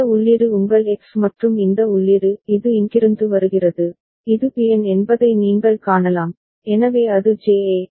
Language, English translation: Tamil, And this input is your X and this input is it is coming from here you can see it is Bn, so that is JA, right